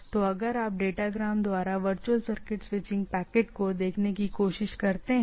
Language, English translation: Hindi, So, if you try to look at the packet switching virtual circuit by the datagram